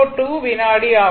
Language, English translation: Tamil, 02 second, right